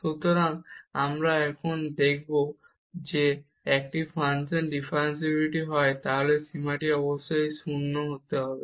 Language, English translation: Bengali, So we now, we will show that if a function is differentiable, then this limit must be 0